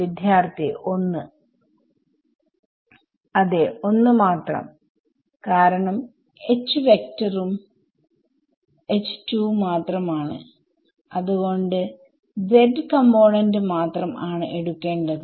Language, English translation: Malayalam, Only one because H vector is only H z so, I only have to take the z component